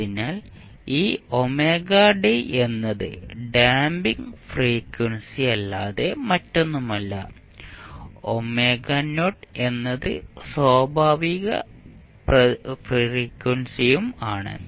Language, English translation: Malayalam, So, this omega d is nothing but damping frequency and omega not is the undamped natural frequency